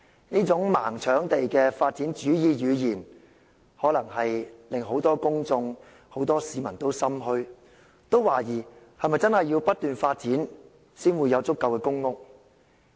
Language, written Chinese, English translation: Cantonese, 這種"盲搶地"的發展主義語言，可能令很多公眾、很多市民也心怯，懷疑是否真的要不斷發展，才能興建足夠公屋？, Such developmentalist language of blind scramble for land may frighten many members of the public and citizens to question if unending development is the requisite for building enough public housing